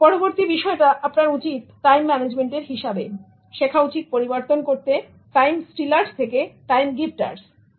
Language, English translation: Bengali, The next thing that you should do in terms of time management is you should learn to convert time stealers into time gifters